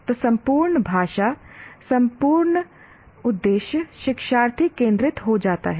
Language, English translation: Hindi, So the entire language, entire view becomes learner centric